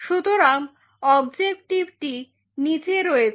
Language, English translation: Bengali, So, objective is from the bottom